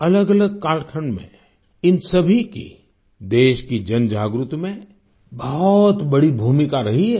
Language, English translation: Hindi, In different periods, all of them played a major role in fostering public awakening in the country